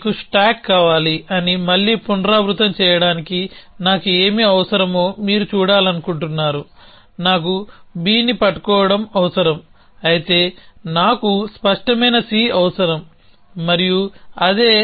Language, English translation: Telugu, So, again to repeat you want stack, you want to see what do I need, I need holding B, of course I need clear C and that is what it is